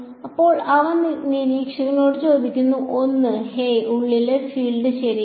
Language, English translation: Malayalam, Now, he is asking the observer 1 hey what is the field inside ok